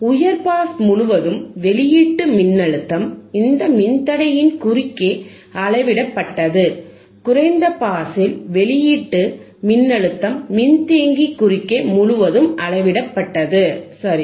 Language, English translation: Tamil, The output voltage across the high pass was measured across this resistor, and output voltage across low pass was measured across the capacitor, right